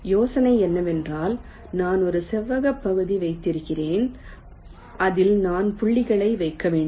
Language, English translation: Tamil, the idea is that suppose i have a rectangular area in which i have to layout the points